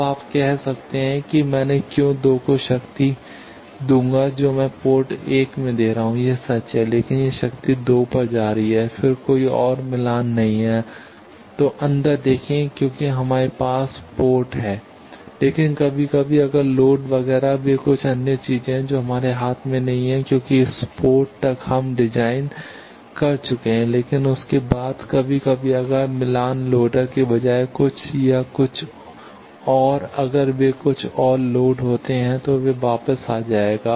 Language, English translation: Hindi, Now, you can say why I will give power at 2 I am giving at port 1 true, but that power is going to 2 and then if there is a mismatch inside because see ports we have but sometimes if the load etcetera they are some other thing which is not in our hand because up to this port we have designed, but after that sometimes if some instead of match loader or something if they is some other load then it will come back